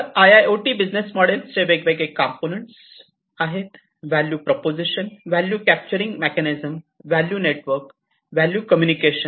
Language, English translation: Marathi, So, there are different components of IIoT business models; value proposition, value capturing mechanism, value network, value communication